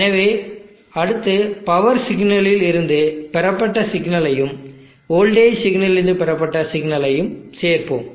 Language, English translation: Tamil, So next we will add the signal obtained from the power signal and the signal obtained from the voltage signal, we will add them up what do you expect